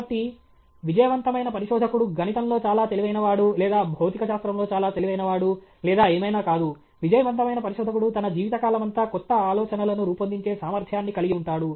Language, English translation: Telugu, So, the successful researcher is not somebody who is just very brilliant in Maths or very brilliant in Physics or whatever; the successful researcher is one who has the ability to keep on generating new ideas throughout his life time okay